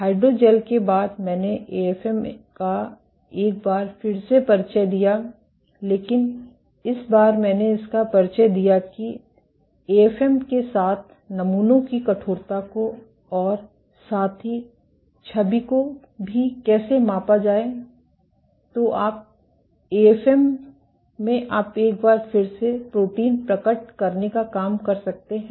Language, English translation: Hindi, After hydrogels I introduced AFM once more, but this time I introduced it how to measure properties of in how to measure stiffness of samples with AFM and also to image